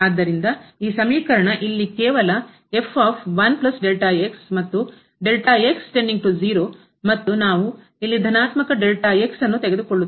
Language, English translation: Kannada, So, this just this expression here and goes to 0 and we take here the positive